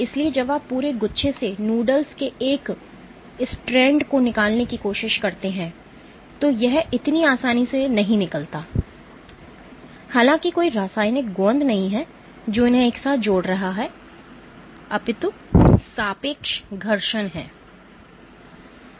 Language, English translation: Hindi, So, when you try to extract one strand of noodles from the entire bunch, so this does not come out so easily even though there is no chemical glue which is bonding them together there is relative friction ok